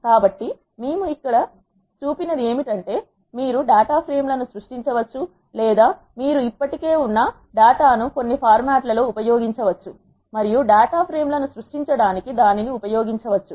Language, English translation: Telugu, So, what we have seen here is you can either create data frames on the go or you can use the data that is already existing in some format and use that to create data frames